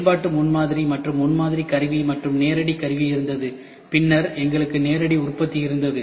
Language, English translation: Tamil, Functional prototyping and then we had we had prototype tooling, then we had direct tooling, then we had direct manufacturing